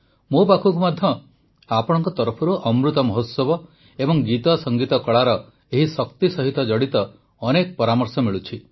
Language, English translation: Odia, I too am getting several suggestions from you regarding Amrit Mahotsav and this strength of songsmusicarts